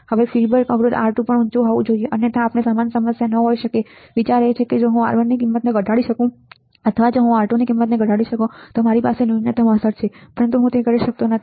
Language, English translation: Gujarati, Now, feedback resistor R2 must also be high otherwise we cannot have gain same problem right, the idea is if I can reduce value of R1 or if I can reduce the value of R2 then I have a minimum effect, but I cannot have reduce a value of R2 and that is why I do not have any solution till this point